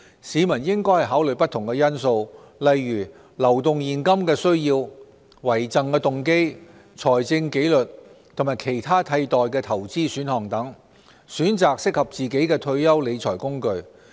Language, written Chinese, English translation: Cantonese, 市民應考慮不同因素，例如流動現金的需要、遺贈動機、財政紀律和其他替代投資選項等，選擇適合自己的退休理財工具。, A member of the public should consider different factors such as liquidity needs bequest motive financial discipline and other investment alternatives when choosing the financial management instruments suitable for his own retirement purpose